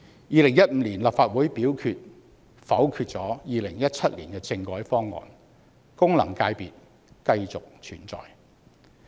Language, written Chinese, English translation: Cantonese, 2015年立法會否決2017年政改方案，功能界別繼續存在。, In 2015 the Legislative Council vetoed the 2017 constitutional reform package and hence FCs continued to exist